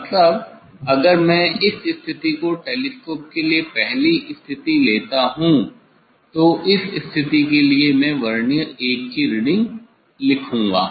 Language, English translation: Hindi, Means, if I take this is the first position of the telescope for this position, I will note down the reading of Vernier 1, note down the reading of Vernier 1